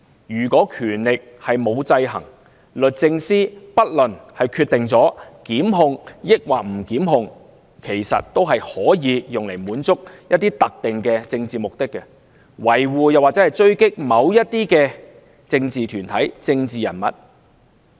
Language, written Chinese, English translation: Cantonese, 如果權力不受制衡，不論律政司是否作出檢控，其實有關決定也可用來滿足一些特定的政治目的，維護或狙擊某些政治團體和人物。, Without a balance of power DoJs decision to prosecute or otherwise can indeed be used to serve certain political ends either to protect or to attack some political groups or figures